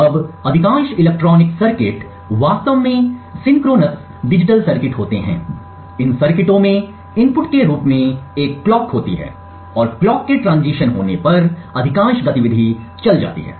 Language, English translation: Hindi, Now most electronic circuits are actually synchronous digital circuits, these circuits have a clock as input and most of the activity goes on when the clock transitions